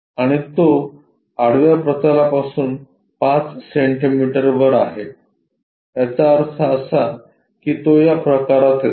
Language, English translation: Marathi, And, it is at 5 centimetres above the horizontal plane; that means, it comes under this kind of category